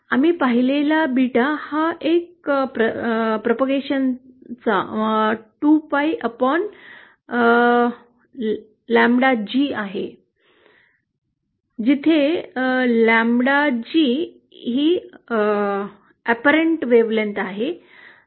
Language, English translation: Marathi, Beta we saw is a kind of, you can define it as 2 pi upon lambda G where lambda G is the apparent wavelength